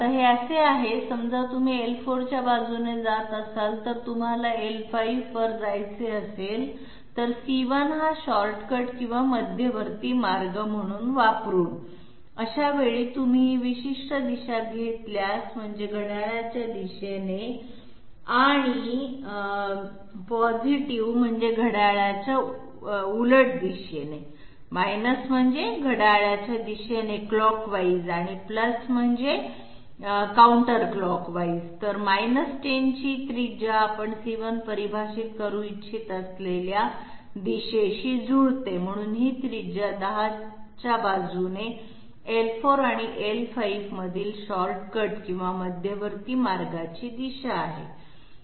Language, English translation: Marathi, It reads this way, suppose you are moving along L4, if you go want to go to L5, using C1 as a shortcut or intermediate path, in that case if you take this particular direction, minus means clockwise and plus means counterclockwise, so along a radius of 10 matches with the direction you intend to define C1, so this is the direction of the shortcut or intermediate path between L4 and L5 along radius 10